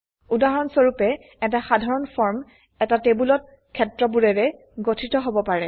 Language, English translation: Assamese, For example, a simple form can consist of fields in a table